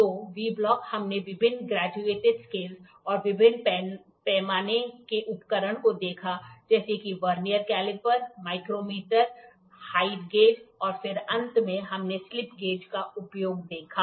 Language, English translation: Hindi, So, V block then we saw various graduated scales and different scale instruments Vernier caliper, micrometer, height gauge and then finally, we saw use of slip gauges